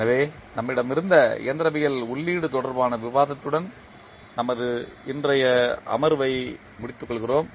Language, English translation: Tamil, So, we close our today’s session with the discussion related to the mechanical input which we just had